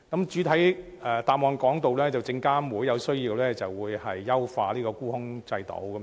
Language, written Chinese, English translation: Cantonese, 主體答覆提到，證監會在有需要時會優化沽空制度。, As stated in the main reply SFC will enhance the short - selling regime if necessary